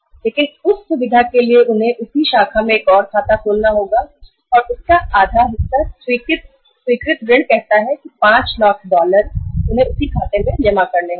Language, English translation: Hindi, But to have that facility they have to open another account in the same branch and half of that sanctioned loan say 5 lakh dollars, 500,000 dollars they have to deposit in that account